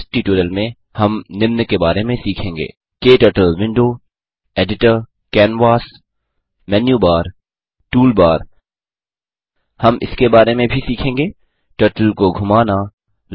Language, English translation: Hindi, In this tutorial, we will learn about KTurtle Window Editor Canvas Menu Bar Toolbar We will also learn about, Moving the Turtle Drawing lines and changing directions